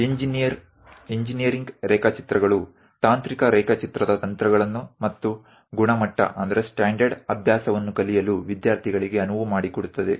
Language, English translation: Kannada, Engineering drawings enables the students to learn the techniques and standard practice of technical drawing